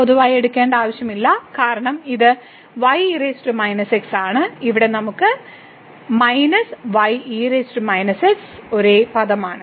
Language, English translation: Malayalam, So, no need to take common because this is power minus and here we have minus power minus is the same term